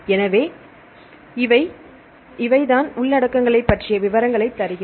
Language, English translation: Tamil, So, this is the one we give the details about the contents